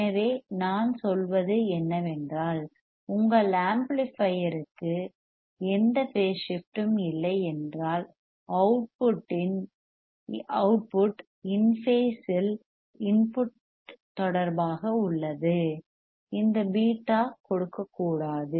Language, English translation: Tamil, So, what I am saying is if your amplifier has no phase shift the output is in phase with respect to input; then this beta should not give should not give any further phase shift